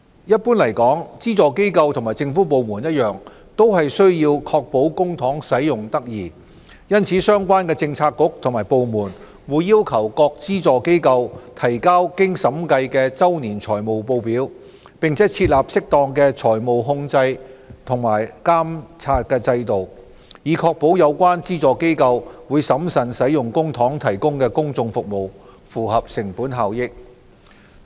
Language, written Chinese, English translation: Cantonese, 一般來說，資助機構與政府部門一樣，均須確保公帑使用得宜，因此相關的政策局和部門會要求各資助機構提交經審計的周年財務報表，並設立適當的財務控制及監察制度，以確保有關資助機構會審慎使用公帑提供公眾服務，符合成本效益。, Generally speaking same as government departments subvented organizations should ensure the proper use of public funds . As such the bureaux and departments concerned require subvented organizations to submit audited annual financial statements and put in place an appropriate financial control and monitoring system to ensure that public funds are used prudently by subvented organizations in the provision of public services with a view to achieving cost - effectiveness